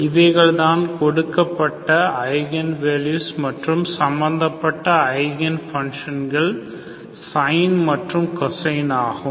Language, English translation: Tamil, These are eigenvalues and corresponding eigen functions are sin and cosine